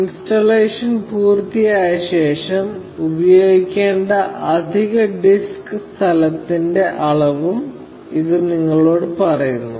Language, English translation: Malayalam, It also tells you the amount of additional disk space that will be used, after the installation is complete